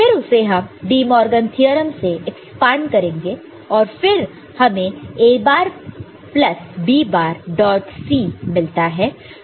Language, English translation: Hindi, So, we can expand it using De Morgan’s theorem and you can see that it will give you A bar plus B bar dot C